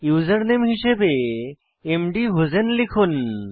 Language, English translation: Bengali, Type the username as mdhusein